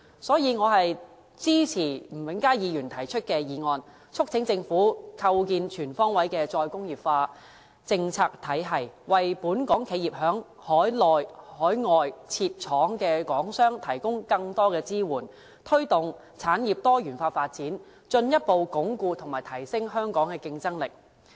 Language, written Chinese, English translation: Cantonese, 所以，我支持吳永嘉議員提出的議案，促請政府構建全方位的"再工業化"政策體系，為本港企業和在海內、海外設廠的港商提供更多支援，推動產業多元化發展，進一步鞏固和提升香港的競爭力。, Thus I support Mr Jimmy NGs motion which urges the Government to establish a comprehensive re - industrialization policy regime with the aim of providing more support for Hong Kong enterprises and Hong Kong manufacturers engaging in industries on the Mainland and overseas; promoting the diversification of industries and further strengthening and enhancing the competitiveness of Hong Kong